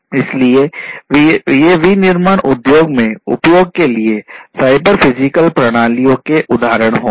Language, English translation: Hindi, So, these would be examples of cyber physical systems for use in the manufacturing industry